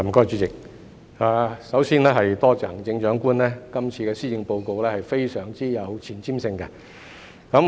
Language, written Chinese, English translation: Cantonese, 主席，首先多謝行政長官今次的施政報告非常有前瞻性。, President first of all I would like to thank the Chief Executive for this very forward - looking Policy Address